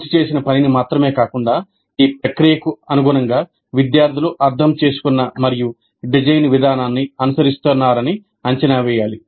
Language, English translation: Telugu, We need to assess not only the finished work, but also the compliance to the process to what extent the students have understood and are following the design process